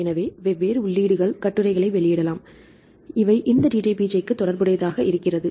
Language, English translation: Tamil, So, can get the different entries publish articles, which related to this DDBJ right